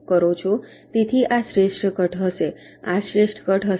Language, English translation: Gujarati, so this will be the best cut